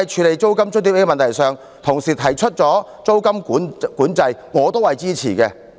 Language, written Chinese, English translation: Cantonese, 在租金津貼問題上，個別議員提出實施租金管制，我也是支持的。, On the issue of rent allowance individual Members have proposed implementation of rent control . I support it too